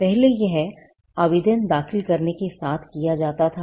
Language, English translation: Hindi, Now, this earlier, it had to be done along with filing the application